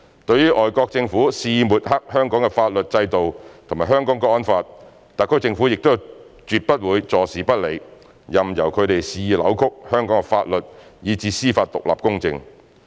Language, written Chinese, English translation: Cantonese, 對於外國政府肆意抹黑香港的法律制度和《香港國安法》，特區政府亦絕不會坐視不理，任由他們肆意扭曲香港的法律以至司法獨立公正。, In the face of foreign governments wilful smearing of Hong Kongs legal system and the Hong Kong National Security Law the SAR Government will not turn a blind eye to their wilful distortion of the law judicial independence and impartiality in Hong Kong